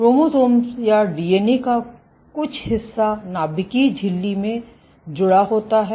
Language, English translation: Hindi, So, some portion of the chromosome or the DNA is attached to the membrane in a nuclear membrane